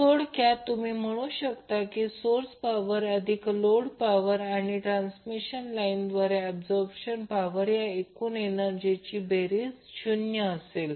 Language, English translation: Marathi, So in a nutshell, what you can say that sum of the total power that is source power plus load power plus power absorbed by the transmission line will be equal to 0